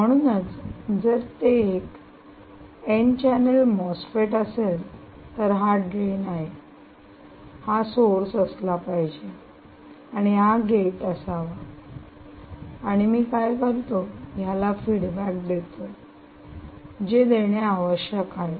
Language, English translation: Marathi, so if it is an n channel mosfet, this must be the drain, this is the source and that is the gate, and what i do, i need to provide the feedback